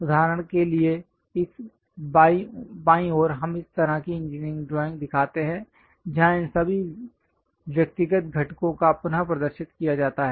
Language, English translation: Hindi, For example, on this left hand side we are showing such kind of engineering drawing where all these individual components are represented